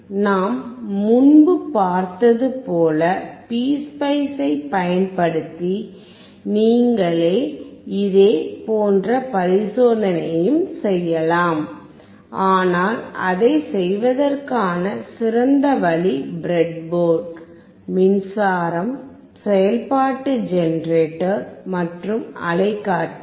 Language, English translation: Tamil, You can also do similar experiment using PSpice as we have seen earlier, but the best way of doing it is using breadboard, power supply, function generator, and oscilloscope